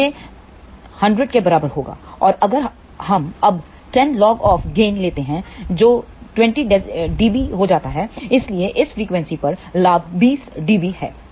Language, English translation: Hindi, So, that will be equal to 100 and if we now take 10 log of gain that comes out to be 20 dB; so, gain at this frequency is 20 dB